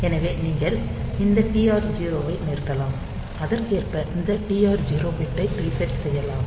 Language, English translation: Tamil, So, you can stop this TR 0, you can reset this TR 0 bit accordingly